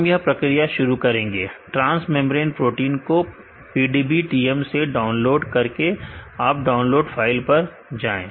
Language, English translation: Hindi, We will begin the exercise by downloading the transmembrane proteins from PDBTM go to download files